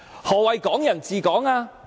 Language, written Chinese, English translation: Cantonese, 何謂'港人治港'？, What is meant by Hong Kong people ruling Hong Kong?